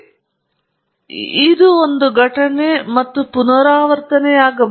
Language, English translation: Kannada, So, it’s an event and that is repeated